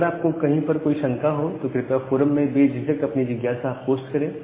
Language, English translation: Hindi, And if you have any doubt or anything feel free to post the questions in the forum